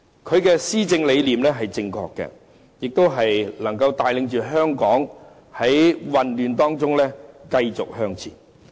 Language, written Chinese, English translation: Cantonese, 他的施政理念是正確的，亦能帶領香港在混亂當中繼續向前。, He has got the ideas right and is able to keep bringing Hong Kong forward among these chaos